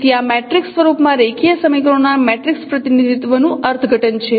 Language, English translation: Gujarati, So this is the interpretation of this matrix representation of the linear equations in the matrix form